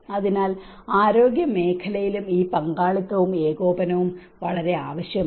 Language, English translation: Malayalam, So, this partnership and coordination is very much needed in the health sector as well